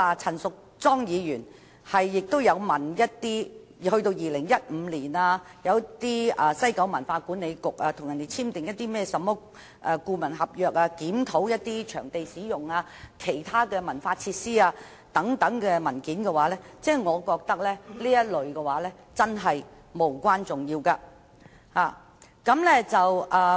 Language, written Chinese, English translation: Cantonese, 陳議員亦索取一些遠至2015年西九管理局所簽訂的顧問合約、有關檢討場地使用、其他文化設施等的文件，我覺得都是無關重要。, Ms CHAN also requests the provision of consultancy contract that WKCDA entered into in as early as 2015 regarding the use of venues and other cultural facilities . I find such information unimportant